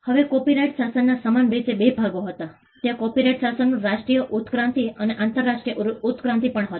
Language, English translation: Gujarati, Now, the copyright regime similarly had two parts; there was a national evolution of the copyright regime and also the international evolution